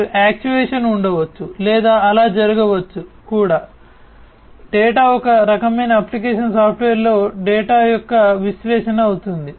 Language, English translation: Telugu, And actuation may be there or even what might so happen is the data would be the analysis of the data would be displayed in some kind of application software